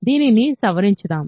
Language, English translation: Telugu, So, let us modify this